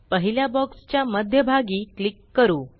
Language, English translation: Marathi, Let us click at the centre of the first box